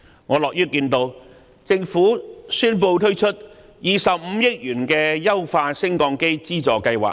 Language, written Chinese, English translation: Cantonese, 我樂於看到政府宣布推出25億元的優化升降機資助計劃。, I am glad to hear the Governments announcement of introducing a 2.5 billion Lift Modernisation Subsidy Scheme